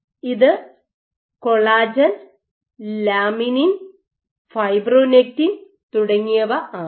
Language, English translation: Malayalam, So, this might be collagen, laminin, fibronectin so on and so forth